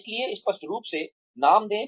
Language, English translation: Hindi, So, give names clearly